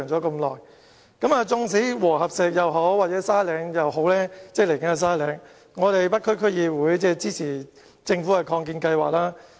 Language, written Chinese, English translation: Cantonese, 無論是和合石墳場或是將來的沙嶺墳場，北區區議會都很支持政府的擴建計劃。, The North DC has rendered strong support to the expansion proposals of columbaria be it WHSC or the future Sandy Ridge Cemetery